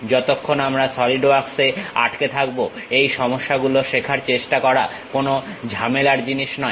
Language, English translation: Bengali, As long as we are sticking with Solidworks trying to learn these issues are not really any hassle thing